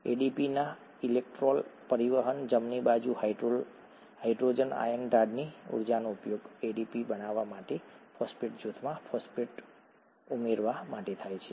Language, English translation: Gujarati, The electron transport phosphorylation of ADP, right, the energy of the hydrogen ion gradient across an integral membrane is used to add phosphate to the phosphate group to ADP to form ATP